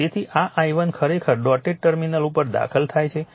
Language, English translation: Gujarati, So, i1 actually entering into the dot